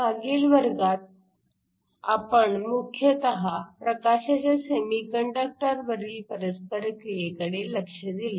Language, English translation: Marathi, In last class, we mainly looked at the interaction of light with a semiconductor material